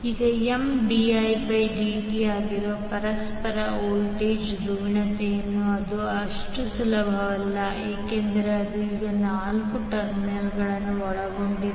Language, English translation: Kannada, Now for the polarity of mutual voltage that is M dI by dt it is not that easy because it now involves four terminals